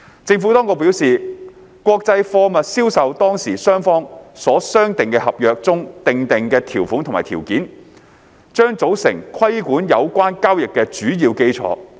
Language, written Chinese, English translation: Cantonese, 政府當局表示，國際貨物銷售當事雙方所商定的合同中訂定的條款及條件，將組成規管有關交易的主要基礎。, The Administration advised that the terms and conditions set out in the contract agreed between the parties to the international sale of goods would form the main basis for governing the transaction